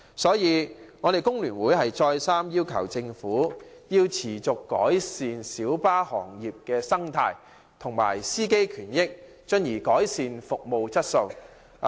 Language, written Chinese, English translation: Cantonese, 所以，工聯會再三要求政府改善小巴行業的生態及司機權益，從而改善小巴的服務質素。, Therefore FTU urges the Government time and again to improve the ecology of the light bus trade as well as the rights and benefits of drivers so as to improve the quality of light bus services